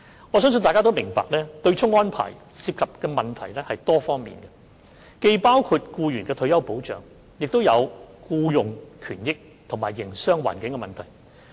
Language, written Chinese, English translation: Cantonese, 我相信大家都明白，對沖安排涉及的問題是多方面的，既包括僱員的退休保障，亦有僱傭權益，以及營商環境。, I believe Members must all understand that the offsetting arrangement involves problems in various areas including employees retirement protection employment benefits and business environment